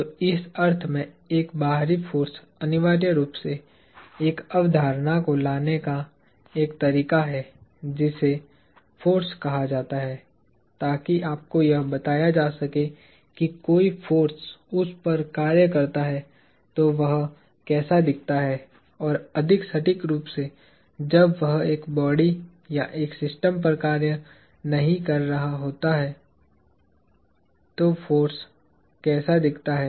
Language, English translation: Hindi, So, an external force in this sense is essentially a way of bringing in a concept called force to tell you what a force would look like when it acts upon it, or more precisely, what a force would look like when it is not acting upon a body or a system